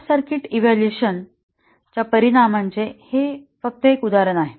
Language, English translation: Marathi, This is just an example of the effect of short circuit evaluation